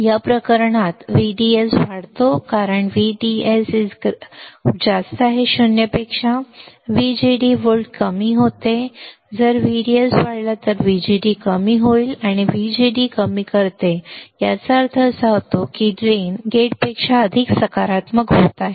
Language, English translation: Marathi, In this case since VDS increases because VDS is greater than 0 right VGD volt decrease correct if VDS increases VGD would decrease and this VGD reduces which implies that drain is becoming more positive than gate